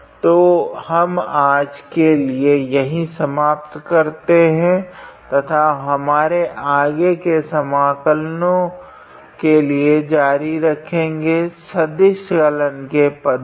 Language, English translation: Hindi, So, we will stop here for today and will continue with our further integral so, in vector calculus terms